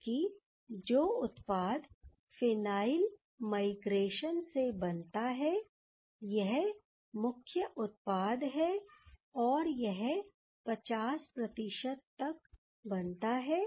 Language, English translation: Hindi, Whereas, the major product that is after the phenyl migration, and that is this product and the yield is 50 percent